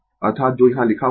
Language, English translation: Hindi, That is what is written here, right